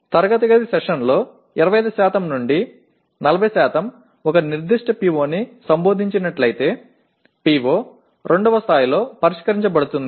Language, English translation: Telugu, And if 25 to 40% of classroom sessions address a particular PO it is considered PO is addressed at the level of 2